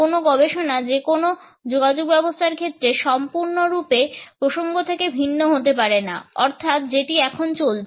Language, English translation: Bengali, No study of any aspect of communication can be absolutely isolated from the context in which it is taking place